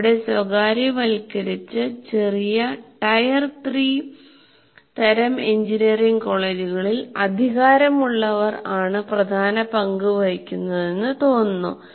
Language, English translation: Malayalam, We'll see actually in many of our privatized, smaller what do you call tier three type of engineering colleges, the who has the power seems to be playing a dominant role